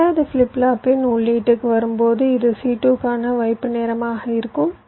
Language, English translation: Tamil, and when it comes to the input of the second flip flop, this will be the hold time for c two after the c to h comes, minimum